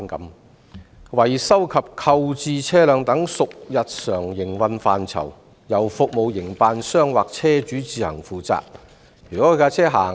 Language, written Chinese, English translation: Cantonese, 他說："維修及購置車輛等屬日常營運範疇，應由服務營辦商或車主自行負責。, He said [m]aintenance and procurement of vehicles etc are under the daily operation scope for which the operators or vehicle owners should be responsible